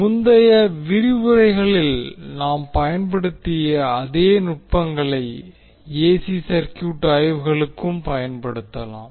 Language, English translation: Tamil, So whatever we techniques, the techniques we used in previous lectures, we can equally use those techniques for our AC circuit analysts